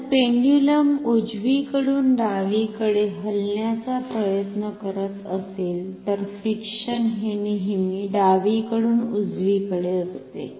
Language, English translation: Marathi, If the pendulum is trying to move from right to left, then the friction is always from left to right